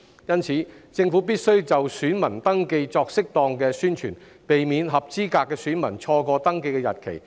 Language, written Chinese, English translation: Cantonese, 因此，政府必須就選民登記作適當的宣傳，避免合資格的選民錯過登記日期。, Hence the Government must conduct appropriate promotion on voter registration to ensure that eligible voters will not miss the registration deadline